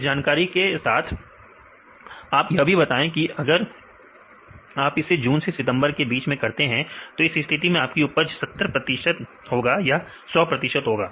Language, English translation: Hindi, With this information, you will also tell that if you do it in June to September; this is a case and the yield is 70 percent or yield is 100 percent